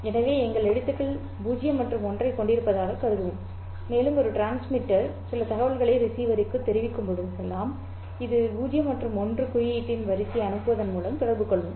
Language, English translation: Tamil, So, we will assume that our alphabet consists of 0 and 1 and whenever a transmitter communicates some information to the receiver, it will communicate by sending a sequence of such symbol 0 and 1